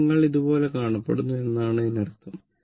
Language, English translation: Malayalam, Now, that means if you look like this right